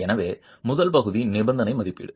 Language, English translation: Tamil, So, the first part is condition assessment